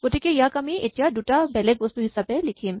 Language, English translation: Assamese, So, we write it now as two separate things